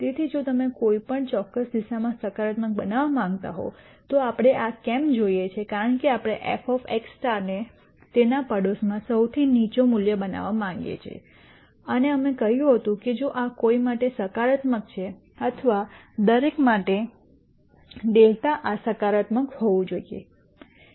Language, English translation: Gujarati, So, if you want this to be positive for any direction why do we want this we want this because we want f of x star to be the lowest value in its neighborhood and that we said will happen if this is positive for any delta or for every delta this should be positive